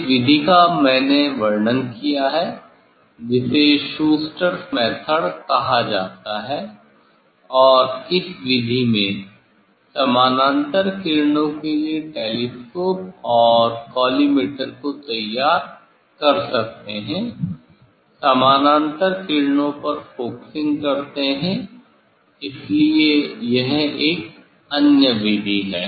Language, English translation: Hindi, this method I described that is called Schuster s method and, in this method, also one can make the telescope and collimator for parallel rays, focusing for parallel rays, so this is another method